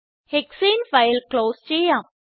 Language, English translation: Malayalam, Lets close the hexane file